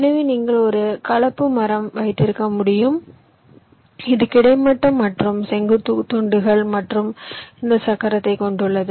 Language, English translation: Tamil, this is a composite tree which consists of horizontal and vertical slices, as well as this wheel